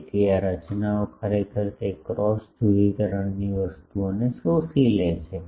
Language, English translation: Gujarati, So, these structures actually makes those cross polarization things absorbs